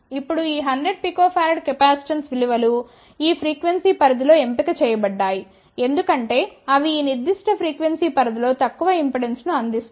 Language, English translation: Telugu, Now these 100 picofarad capacitance values have been chosen in this frequency range because they provide relatively low impedance in this particular frequency range